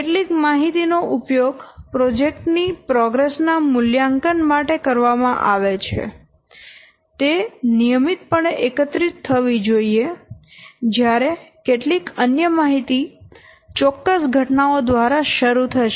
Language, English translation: Gujarati, Some information are used to assess project progress or the progress of the project that should be collected routinely while some other information will be triggered by specific events